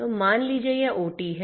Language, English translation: Hindi, So, this is let us say OT